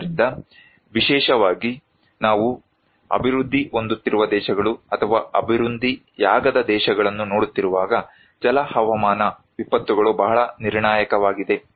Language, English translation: Kannada, So, hydro meteorological disasters are very critical, particularly when we are looking into developing countries or underdeveloped countries